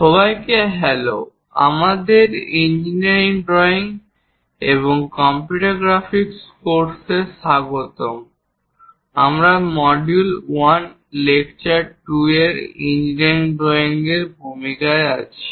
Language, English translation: Bengali, Hello everyone, welcome to our Engineering Drawing and Computer Graphics course; we are in module 1 and lecture 2 in Introduction to Engineering Drawing